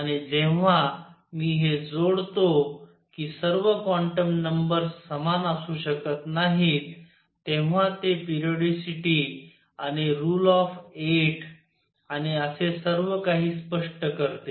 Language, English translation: Marathi, And when I add that not all quantum numbers can be the same, it explains the periodicity the rule of 8 and all that